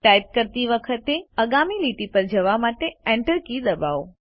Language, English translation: Gujarati, Press the Enter key to go to the next line while typing